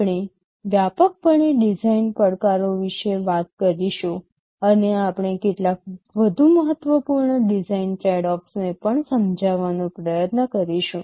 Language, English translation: Gujarati, We shall broadly be talking about the design challenges, and we shall also be trying to understand some of the more important design tradeoffs